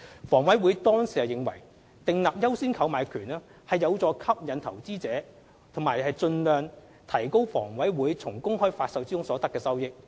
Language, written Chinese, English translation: Cantonese, 房委會當時認為，訂立"優先購買權"有助吸引投資者和盡量提高房委會從公開發售中所得的收益。, At that time HA believed that granting the right of first refusal might help attract investors and maximize its revenue from the public offering